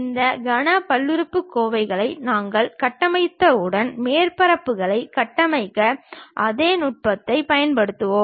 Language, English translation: Tamil, Once we construct these cubic polynomials, then we will interpolate apply the same technique to construct the surfaces